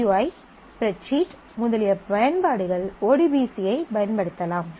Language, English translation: Tamil, So, applications such as GUI, spreadsheet, etcetera can use ODBC